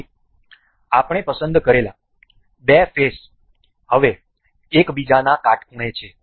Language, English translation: Gujarati, So, the two faces that we selected are now perpendicular to each other